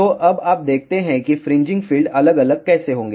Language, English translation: Hindi, So, now let us see how the fringing fields will vary